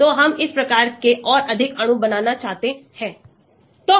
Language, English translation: Hindi, So, we would like to have more of this type of molecules